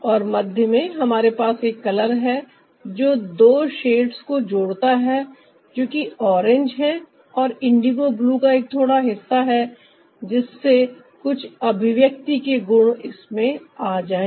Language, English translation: Hindi, and in the middle we also have a color which is, ah, connecting the two shades, that is, the orange and the bit of a indigo blue, to bring some kind of an expressive quality to it